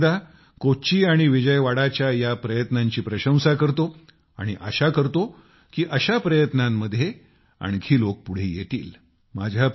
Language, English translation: Marathi, I once again applaud these efforts of Kochi and Vijayawada and hope that a greater number of people will come forward in such efforts